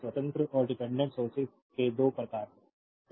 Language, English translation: Hindi, So, there are 2 types of sources independent and dependent sources